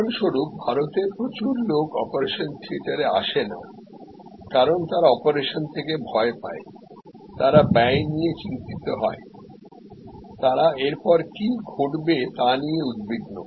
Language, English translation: Bengali, For example, that in India lot of people do not come to the operation theater, because they are scared of operations, they are worried about the expenses, they are worried about what will happen next